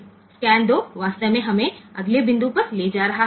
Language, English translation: Gujarati, So, scan 2 is actually taking us to the next point